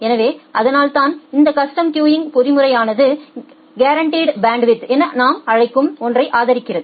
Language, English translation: Tamil, So, that way this custom queuing mechanism it supports what we call as the guaranteed bandwidth